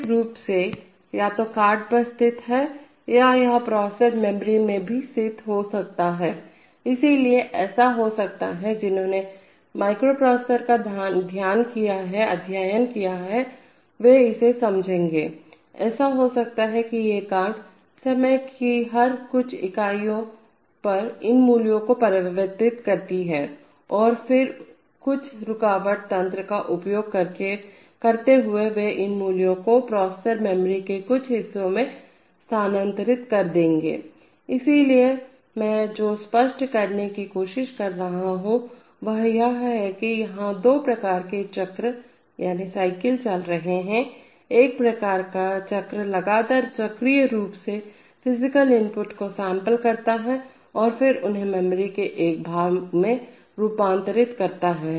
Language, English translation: Hindi, The first one is that, the physical signals keep getting transformed from either to these buffers and this, these buffers could be physically situated either on the card or it could even be situated in the processor memory, so it may so happen, those who have studied microprocessors will understand this, that it may so happen that these cards, every few units of time convert these values and then using some interrupt mechanism they will transfer these values to some part of the processor memory, so what I am trying to stress is that, here there are two kinds of cycles going on, one kind of cycle continuously cyclically samples the physical inputs and transforms them to a part of the memory, which we call the i/o image and the processor where it reads, it actually reads from that image, right